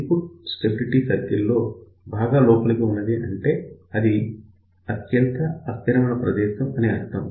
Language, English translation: Telugu, So, this is the point, which is deep inside the input stability circle that means, this is the most unstable point